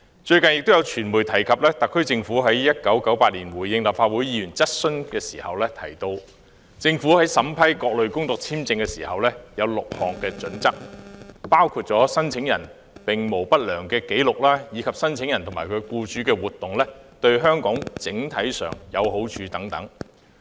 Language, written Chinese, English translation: Cantonese, 最近亦有傳媒提及特區政府於1998年回應立法會議員質詢時提到，政府在審批各類工作簽證時有6項準則，包括申請人並無不良紀錄，以及申請人及其僱主的活動對香港整體上有好處等。, The media pointed out recently that in 1998 when responding to a Members question the SAR Government mentioned that it had six criteria when processing applications for work visas . Such criteria included whether the applicant had any adverse records and whether the activities of the applicant and the employer concerned would be beneficial to Hong Kong as a whole